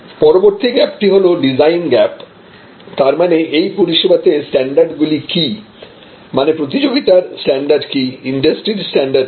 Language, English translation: Bengali, The next gap is call the design gap, the design gap means, what the service standards are; that means, what the competitive standards are or what the industries standards are